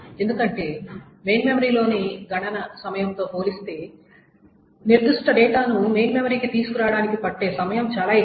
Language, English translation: Telugu, Because the time to bring a particular data to the main memory is so large compared to the computation times in the main memory